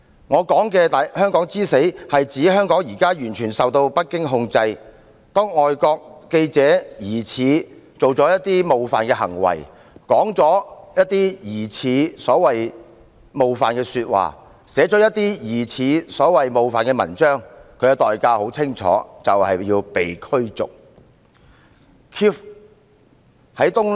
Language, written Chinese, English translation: Cantonese, 我所說的香港之死，是指香港已完全受北京控制，當外國記者疑似做了一些冒犯行為、說了一些疑似冒犯的說話、寫了一些疑似冒犯的文章，他的代價很清楚，就是被逐出境。, In saying the death of Hong Kong I mean Hong Kong has been under the total control of Beijing . When a foreign journalist has made some seemingly offensive act has made some seemingly offensive remarks or has written certain seemingly offensive articles the price he has to paid is crystal clear that is expulsion from Hong Kong